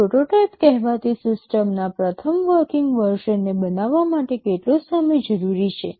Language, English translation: Gujarati, How much time is required to build the first working version of the system that is called a prototype